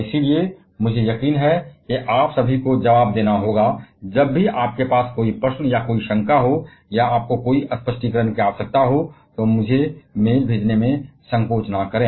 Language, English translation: Hindi, So, and I am sure all of you are going to respond; that is, whenever you have any query or any doubt or you need any clarification, don't hesitate to drop a mail to me